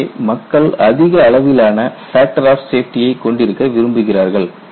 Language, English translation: Tamil, So, people want to have a very high factor of safety